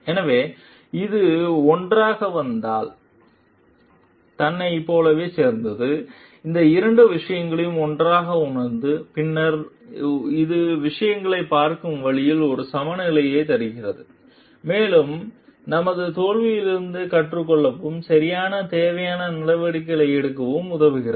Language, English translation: Tamil, So, this together like itself if it comes together, realize both these things together, then it gives us a balance to way of looking at things and helps us to learn from your failures and take corrective necessary actions